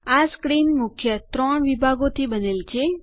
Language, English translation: Gujarati, This screen is composed of three main sections